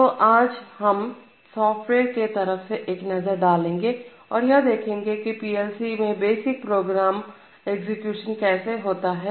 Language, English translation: Hindi, So today we take a software focus and start looking at how the basic program execution goes in a PLC